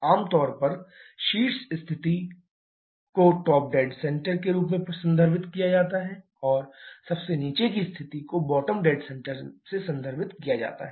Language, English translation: Hindi, Generally, the top most position is referred as the top dead centre and the bottom most position refers to the bottom dead centre